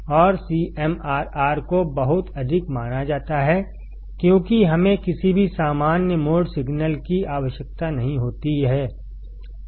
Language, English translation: Hindi, And CMRR is supposed to be extremely high because we do not require any common mode signal